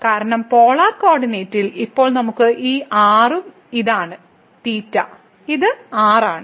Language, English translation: Malayalam, Because in the polar coordinate, now we have this and this is theta and this is